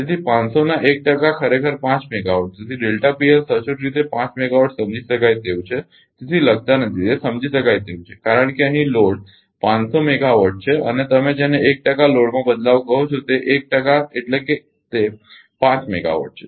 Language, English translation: Gujarati, So, delta P L actually 5 megawatt understandable not writing ah understandable because here load is 500 megawatt and your what you call change in 1 percent load 1 percent means it is 5 megawatt